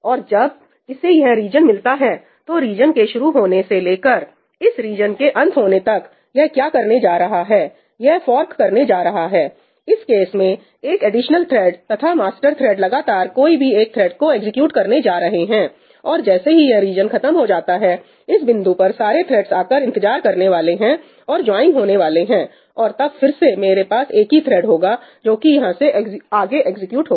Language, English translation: Hindi, And when it encounters this region between where this region starts and where this region ends what it is going to do is, it is going to fork, in this case three additional threads and the master thread is going to continue executing one of the threads, and eventually, when this region ends, at that point of time it is going to wait for all the threads to come and join; and then again I will have a single thread that executes from there on